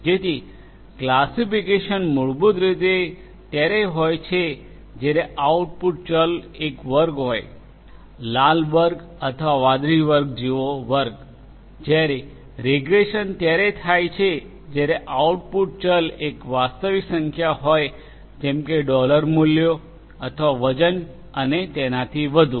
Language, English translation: Gujarati, So, classification basically is when the output variable is a category; is a category such as you know red category or blue category whereas, regression is when the output variable is a real number such as the dollar values or the weight and so on